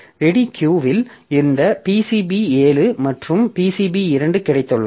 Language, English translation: Tamil, So, ready queue we have got this this PCB 7 and PCB 2